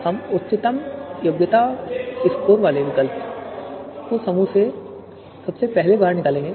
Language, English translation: Hindi, So we would be extracting this first group C1 having the highest, having the alternative with the highest qualification score